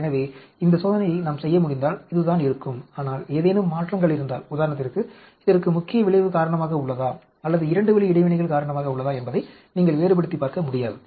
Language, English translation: Tamil, So it is if we can do this experiment, but if there are any changes, for example, you cannot differentiate whether it is because of a main effect or the 2 way interactions